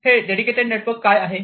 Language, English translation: Marathi, What is this dedicated network